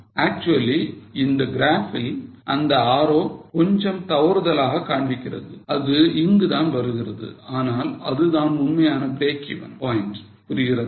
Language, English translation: Tamil, Actually in the graph slightly that arrow is wrong it shows it somewhere here but actual break even point is this